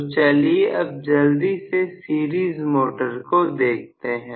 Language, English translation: Hindi, So, we will just to try take a look quickly at the series motor